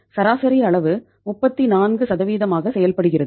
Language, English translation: Tamil, Average works out as 34%